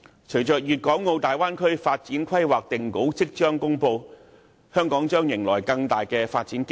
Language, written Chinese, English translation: Cantonese, 隨着《粵港澳大灣區城市群發展規劃》定稿即將公布，香港將迎來更大的發展機遇。, As the development plan for a city cluster in the Guangdong - Hong Kong - Macao Bay Area will be finalized and released soon Hong Kong will see many more development opportunities